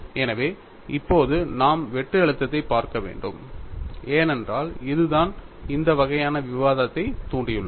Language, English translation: Tamil, So now, we have to look at the shear stress because that is what as precipitated at this kind of a discussion